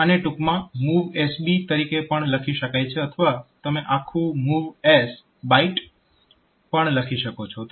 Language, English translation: Gujarati, So, this can also be written in short as MOVSB or you can write in full form like MOVS Byte